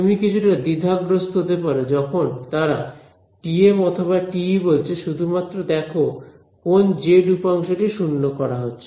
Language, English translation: Bengali, So, you might find it confusing when they say TM or TE just see which of the z component is being set to 0 ok